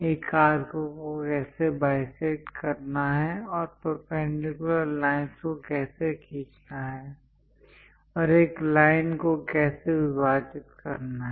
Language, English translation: Hindi, How to bisect an arc and how to draw perpendicular lines and how to divide a line